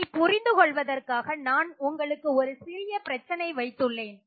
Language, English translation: Tamil, And to understand this I have a simple problem for you